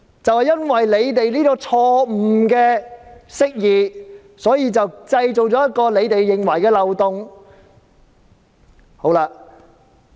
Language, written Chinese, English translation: Cantonese, 正因為政府這錯誤釋義，便製造出所謂的法例漏洞。, It is due to such a wrongful interpretation by the Government that creates this so - called legislative loophole